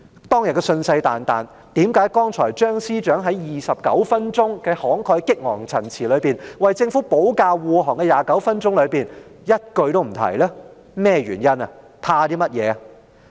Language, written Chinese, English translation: Cantonese, 當天信誓旦旦，為何張司長剛才在29分鐘慷慨激昂的陳辭中，為政府保駕護航時一句也沒有提及呢？, She made this vow categorically back then and why was it not mentioned at all by Chief Secretary Matthew CHEUNG when he made that most impassioned speech of 29 minutes to defend the Government just now?